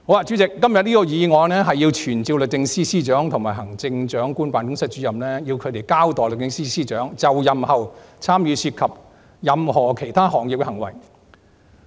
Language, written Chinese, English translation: Cantonese, 主席，今天的議案是傳召律政司司長及行政長官辦公室主任，交代律政司司長就任後參與涉及任何其他行業的行為。, President todays motion is about summoning the Secretary for Justice and Director of the Chief Executives Office to explain on handling of the matter of and in relation to the engagement of the Secretary for Justice in any other trade after taking office